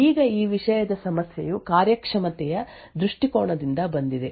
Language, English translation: Kannada, Now the problem with this thing comes from a performance perspective